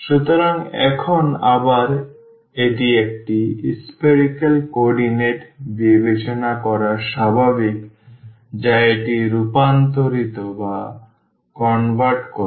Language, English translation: Bengali, So now, again this is natural to consider a spherical coordinate which will convert this